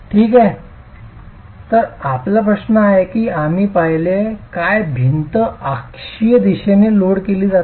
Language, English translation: Marathi, So your question is, what you are seeing is the wall being loaded in the axial direction